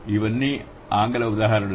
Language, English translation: Telugu, These are all English examples